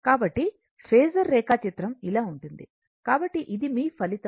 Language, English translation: Telugu, So, phasor diagram will be like this right, so this is your resultant